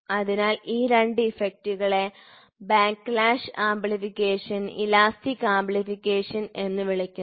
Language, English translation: Malayalam, So, these two effects are termed as backlash amplification and elastic amplification